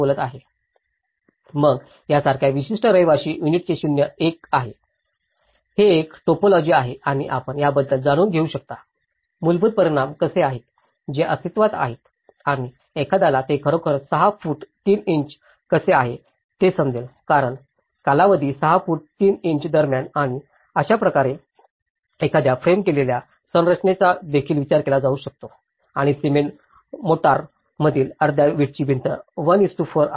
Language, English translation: Marathi, Then, a typical dwelling unit like this is a zero one, this is one typology and you can even think about you know, the how the basic dimensions, which are existing and how one can actually understand that 6 foot 3 inches because the span between 6 foot 3 inches and that is how a framed structure could be also thought of and here, you can see the half brick wall in cement mortar is 1:4